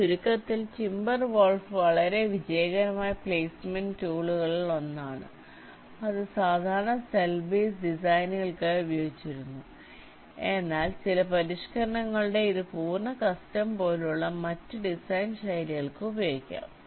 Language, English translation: Malayalam, so to summaries, timber wolf was one of the very successful placement tools that was used for standard cell base designs, but this, with some modification, can also be used for the other design styles, like full custom